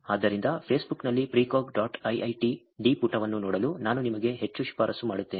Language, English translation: Kannada, So, I would highly recommend you to look at this page Precog dot IIIT D on Facebook